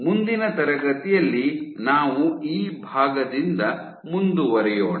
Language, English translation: Kannada, In the next class, we will continue from this part